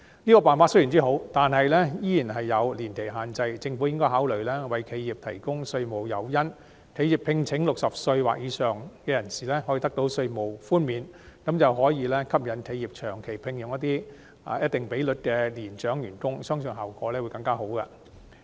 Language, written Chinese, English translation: Cantonese, 這個辦法雖好，但仍有年期限制，政府應該考慮為企業提供稅務誘因，讓聘請60歲或以上人士的企業可以得到稅務寬免，從而吸引企業長期聘用一定比率的年長員工，相信效果會更好。, Such a measure is good but it carries an age limit . The Government should consider providing tax incentives for enterprises so that those hiring persons aged 60 or above can receive tax concessions thereby incentivizing enterprises to hire a certain proportion of elderly employees on a long - term basis . Such a practice will presumably produce better results